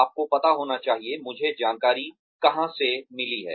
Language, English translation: Hindi, You should know, where I have got the information from